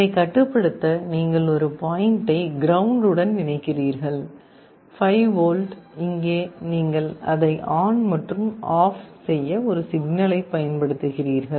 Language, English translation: Tamil, For controlling you connect one point to ground, 5 volt, and here you are applying a signal to turn it on and off